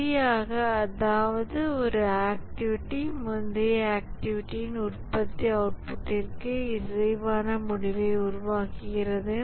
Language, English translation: Tamil, That is one activity produces result that are consistent with the output produced by the previous activity